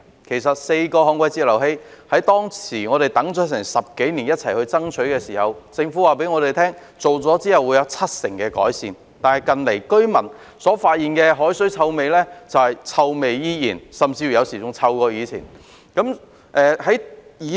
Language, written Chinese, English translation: Cantonese, 這4個旱季截流器，我們當時一起爭取及等待了10多年，政府告訴我們設置後將可達致七成改善，但近來居民卻發現海水依然有臭味，有時候甚至較以往更臭。, We have strived and waited for these four DWFIs for more than 10 years . The Government told us that the installation could achieve an improvement rate of 70 % . Recently however the residents have found that the seawater still gives off stenches